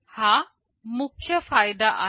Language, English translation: Marathi, This is the main advantage